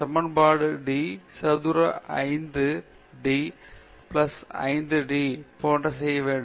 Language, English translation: Tamil, I want to solve the equation d square 5 by d plus d square 5 by d square equal to zero